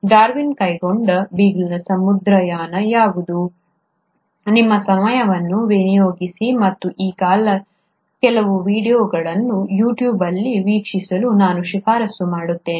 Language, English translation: Kannada, What was the voyage of Beagle which was taken by Darwin, I would recommend that you take your time out and go through some of these videos on You tube